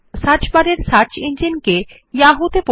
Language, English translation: Bengali, Change the search engine in the search bar to Yahoo